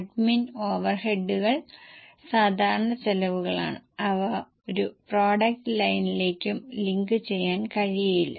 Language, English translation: Malayalam, Admin over eds are common costs and cannot be linked to any product line